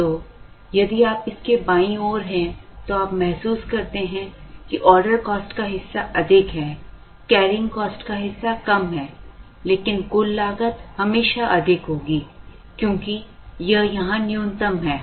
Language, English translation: Hindi, So, to the left of it if you realize, so somewhere here if we are then you realize that the order cost part is higher the carrying cost part is lower, but the total cost will always be higher, because this is the minimum